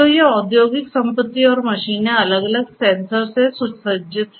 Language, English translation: Hindi, So, these industrial assets and machines these are fitted with different sensors